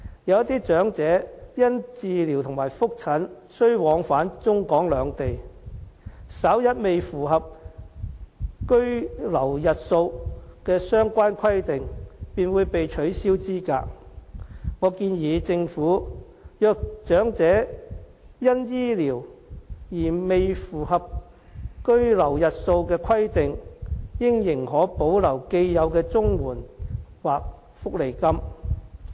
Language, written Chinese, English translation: Cantonese, 有些長者因治療和覆診而需要往返中港兩地，稍一未符合居留日數的相關規定，便會被取消資格，我建議政府如果察悉長者由於醫療的原因而未符合居留日數的規定，應仍可保留既有的綜援或福利金。, Some elderly people have to travel between Hong Kong and the Mainland due to medical treatment and follow - up needs . But they will easily be disqualified if they fail to meet the requirements of the duration of stay . I suggest that the Government should allow elderly people to retain the existing CSSA or cash benefit if the Government knows that such elderly people breach the requirements of the duration of stay on medical grounds